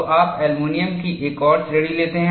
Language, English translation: Hindi, So, you take up another category of aluminum